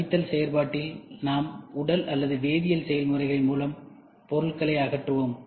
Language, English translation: Tamil, So, in subtractive process we remove materials by physical or chemical processes